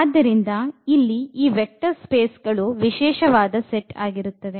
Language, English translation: Kannada, So, here this vector spaces they are the special set here